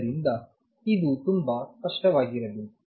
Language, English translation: Kannada, So, this should be very clear